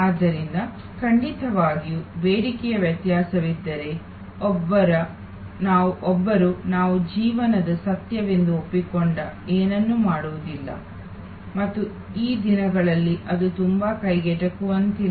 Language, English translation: Kannada, So, of course, therefore, if there is a demand variation one approaches we do nothing we accepted as a fact of life and, but that is not very affordable these days